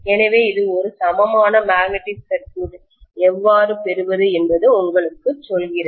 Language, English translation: Tamil, So this essentially tells you how to get an equivalent magnetic circuit